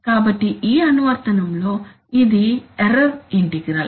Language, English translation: Telugu, So in this application it is the error integral